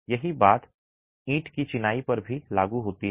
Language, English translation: Hindi, The same applies to brick masonry